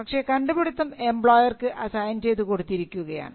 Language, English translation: Malayalam, So, but the invention is assigned to the company, the employer